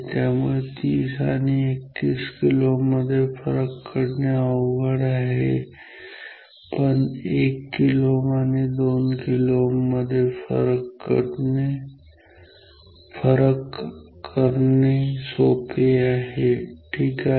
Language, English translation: Marathi, So, it is difficult to distinguish 30 and 31 kilo ohm, but it is easy to distinguish 1 and 2 kilo ohm ok